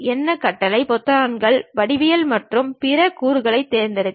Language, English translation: Tamil, To select any commands, buttons, geometry or other elements